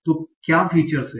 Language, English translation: Hindi, So what are the features